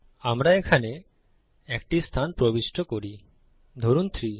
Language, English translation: Bengali, We enter a position here, say 3